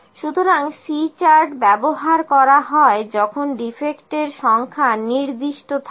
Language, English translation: Bengali, So, C chart is used when we have number of defects, number of defects are fixed